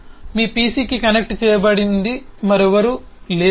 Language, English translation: Telugu, your printer is directly connected to your pc